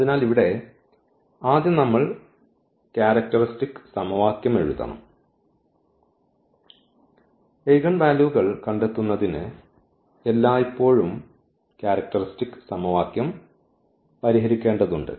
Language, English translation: Malayalam, So, here first we have to write down the characteristic equation and we need to solve the characteristic equation always to find the eigenvalues